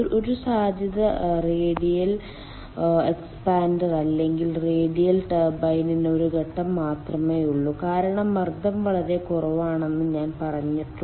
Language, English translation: Malayalam, one possibility is that radial expander or radial turbine where it is having only one stage, because i have told the pressure range is very low ah